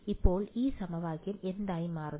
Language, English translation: Malayalam, So, what does this equation turn into